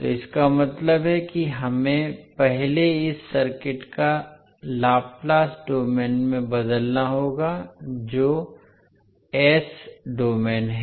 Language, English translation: Hindi, So means that we have to convert first this circuit into Laplace domain that is S domain